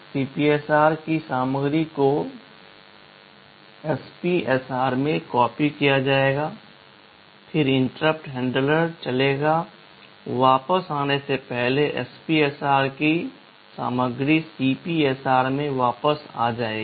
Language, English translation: Hindi, The content of the CPSR will get copied into an SPSR, then interrupt handler will run, before coming back the content of the SPSR will be restored back into CPSR